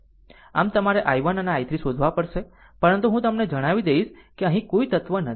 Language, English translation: Gujarati, So, you have to find out i 1 also i 3, but just let me tell you there is no element here